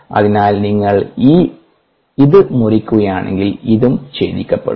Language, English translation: Malayalam, therefore, if you cut this off, also gets cut off